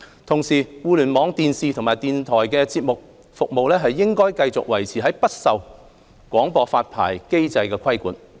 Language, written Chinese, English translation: Cantonese, 同時，互聯網電視及電台節目服務應繼續維持不受廣播發牌機制規管。, In the meantime Internet - based TV and radio programme services should remain not subject to licensing control